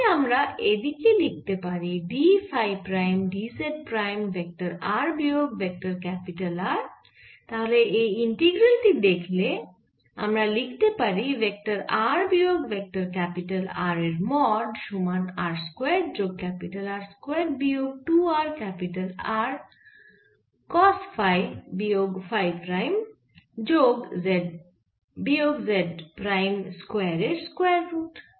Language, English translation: Bengali, so so if i put the value of vector r minus capital r, mod of vector r minus vector capital r, so that is the d phi prime d z prime over r square plus capital r square minus two r capital r cost phi prime phi minus phi prime plus z minus z prime, whole square